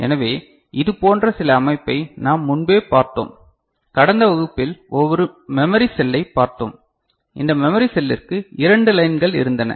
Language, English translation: Tamil, So, we had seen some such organization before right, we had seen a memory cell in the last class if we remember and this memory cell had 2 lines